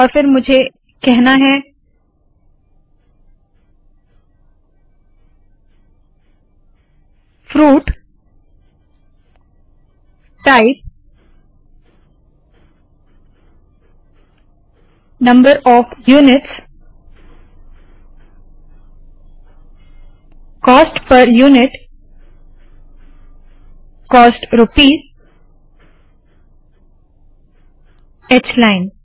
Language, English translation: Hindi, And then here I want to say: fruit type number of units cost per unit cost rupees h line